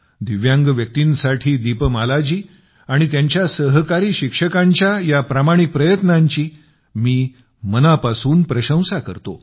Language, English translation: Marathi, I deeply appreciate this noble effort of Deepmala ji and her fellow teachers for the sake of Divyangjans